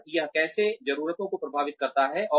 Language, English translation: Hindi, And, how that affects needs